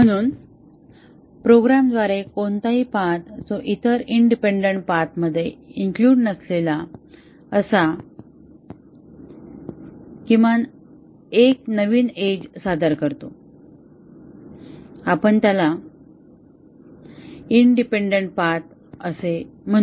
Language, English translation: Marathi, So, any path through the program that introduces at least one new edge not included in the other independent paths we will call it as an independent path